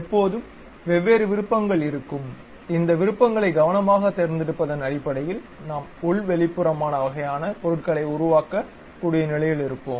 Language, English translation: Tamil, So, there always be different options and based on carefully picking these options we will be in a position to really construct internal external kind of objects